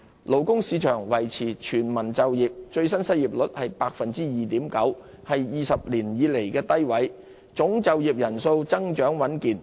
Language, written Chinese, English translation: Cantonese, 勞工市場維持全民就業，最新失業率為 2.9%， 是20年以來的低位，總就業人數增長穩健。, The labour market remains in a state of full employment with the latest unemployment rate hitting 2.9 % a 20 - year low